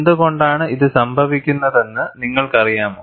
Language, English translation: Malayalam, Do you know why this happens